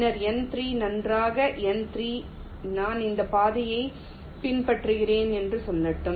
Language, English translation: Tamil, for n two, two and two, let say, will be following this path